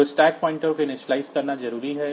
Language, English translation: Hindi, So, it is important to initialize the stack pointer